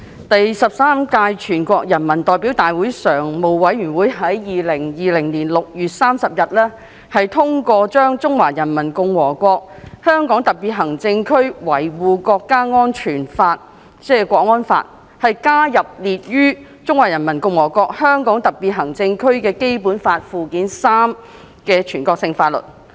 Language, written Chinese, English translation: Cantonese, 第十三屆全國人民代表大會常務委員會於2020年6月30日通過把《中華人民共和國香港特別行政區維護國家安全法》加入列於《中華人民共和國香港特別行政區基本法》附件三的全國性法律。, On 30 June 2020 the Standing Committee of the Thirteenth National Peoples Congress adopted the addition of the Law of the Peoples Republic of China on Safeguarding National Security in the Hong Kong Special Administrative Region HKNSL to the list of national laws in Annex III to the Basic Law of the Hong Kong Special Administrative Region of the Peoples Republic of China